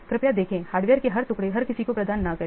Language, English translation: Hindi, See, please do not provide everyone with the every piece of hardware